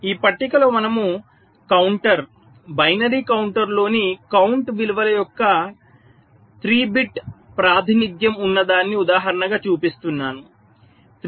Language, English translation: Telugu, in this table we are showing, as an illustration, three bit representation of a of the count values in a counter